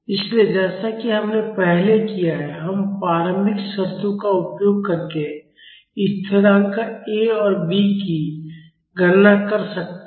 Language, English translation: Hindi, So, as we have did earlier, we can calculate the constants A and B using the initial conditions